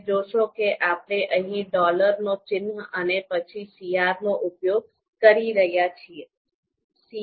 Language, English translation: Gujarati, Now you would see that we are using a dollar ($) you know a dollar notation here and then CR